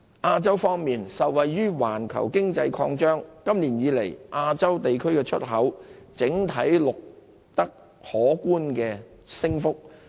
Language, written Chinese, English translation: Cantonese, 亞洲方面，受惠於環球經濟擴張，亞洲地區的出口今年以來整體上錄得可觀升幅。, As regards Asia the overall growth of exports across Asia has been impressive so far this year thanks to the expansion of the global economy